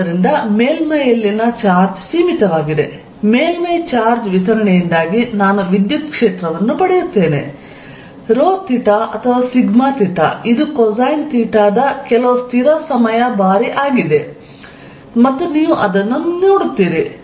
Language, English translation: Kannada, So, that the charge on the surface remains finite I will get the electric field due to a surface charge distribution rho theta or sigma theta which is some constant times cosine of theta and you will see that